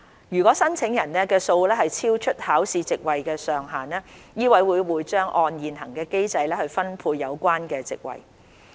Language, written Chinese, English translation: Cantonese, 如申請人數超出考試席位的上限，醫委會將會按現行機制分配有關席位。, If the number of applicants exceeds the maximum capacity MCHK will allocate the seats in accordance with the prevailing mechanism